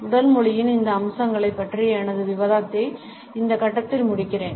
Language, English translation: Tamil, I would end my discussion of these aspects of body language at this point